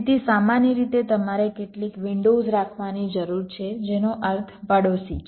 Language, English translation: Gujarati, ok, so usually you need to keep some windows, which means the neighborhood